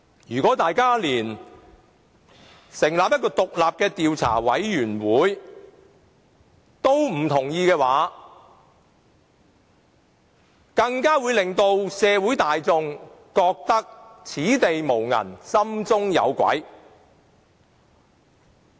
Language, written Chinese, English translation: Cantonese, 如果連成立獨立的調查委員會也不同意的話，只會令社會大眾覺得此地無銀，心中有鬼。, If Members even oppose the proposal of forming an independent investigation committee members of the public would think that he who denies all confesses all and make people think that there is something fishy going on